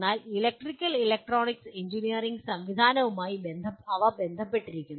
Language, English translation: Malayalam, But they are involved with electrical and electronic engineering systems